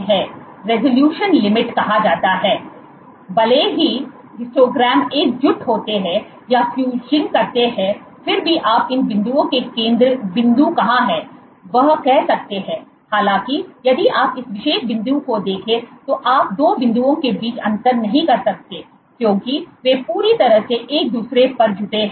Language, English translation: Hindi, You can you can still make out, even though the histograms are coalescing or fusing, you can still make out where lies the center point of these dots; however, if you look at this particular point you cannot distinguish between the 2 points, because they have completely converged on each other